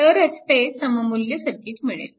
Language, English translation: Marathi, Then only you will get that equivalent circuit